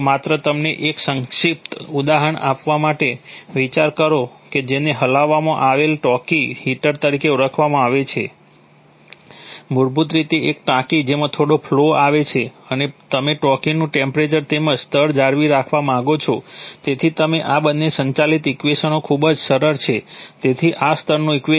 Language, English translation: Gujarati, So just to give you a brief example, consider what is known as a stirred tank heater, basically a tank in which some flow is coming and you want to maintain the temperature of the tank as well as the level, so you, so these are the two governing equations, very easy, so this is the level equation and this is the temperature equation